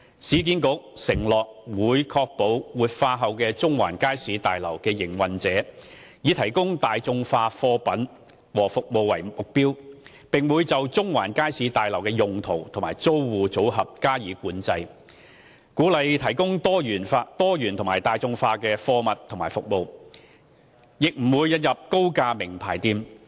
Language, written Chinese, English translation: Cantonese, 市建局承諾會確保活化後的中環街市大樓的營運者以提供大眾化貨品和服務為目標，並會就中環街市大樓的用途和租戶組合加以管制，鼓勵提供多元及大眾化的貨物和服務，亦不會引入高價名牌店。, URA pledges to ensure that the operator of the revitalized Central Market Building will aim at providing affordable goods and services exercise control over the uses and tenant mix of the Central Market Building to encourage a diversified array of affordable goods and services and will not introduce expensive branded stores